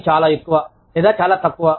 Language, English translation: Telugu, Work is too much, or too little